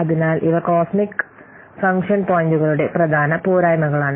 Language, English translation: Malayalam, So these are the important drawbacks of cosmic function points